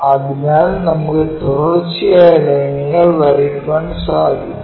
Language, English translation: Malayalam, So, we will have continuous lines